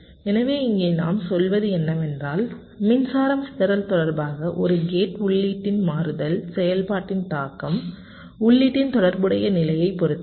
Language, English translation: Tamil, so we here, what we says is that the impact of the switching activity of a gate input with respect to power dissipation depends on the relative position of the input